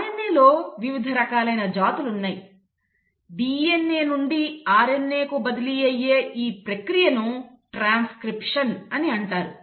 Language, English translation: Telugu, There are other species of RNA as well, but this conversion from DNA to RNA is process one which is called as transcription